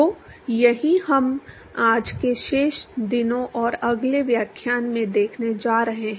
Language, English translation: Hindi, So, that is what we are going to see in to in rest of todays and the next lecture